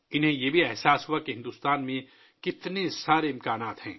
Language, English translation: Urdu, They also realized that there are so many possibilities in India